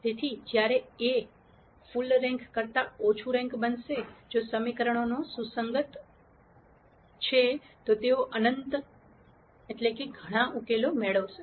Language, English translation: Gujarati, So, when this A becomes rank less than full rank, if the equations are consistent then they will get infinitely number of many infinitely many solutions